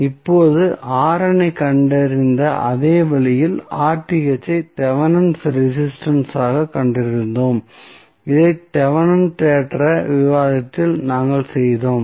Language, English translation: Tamil, Now, R n can be found in the same way we found RTH that was the Thevenin's resistance, which we did in the Thevenin's theorem discussion